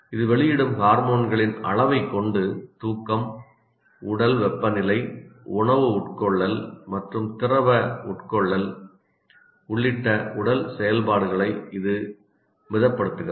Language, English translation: Tamil, By the amount of hormones it releases, it moderates the body functions including sleep, body temperature, food intake and liquid intake